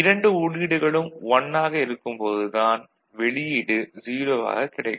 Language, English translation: Tamil, And when both the inputs are 0, the output will be 1 ok